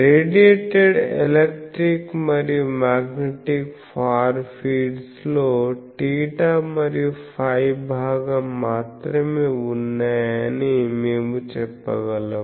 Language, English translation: Telugu, So, we can say that the radiated electric and magnetic far fields have only theta and phi component